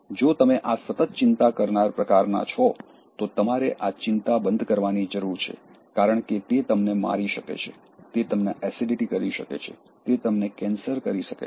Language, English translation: Gujarati, If you are this constant worrying type, because you need to stop this worry because it can kill you, it can give you acidity, it can give you cancer